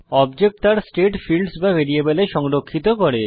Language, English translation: Bengali, Object stores its state in fields or variables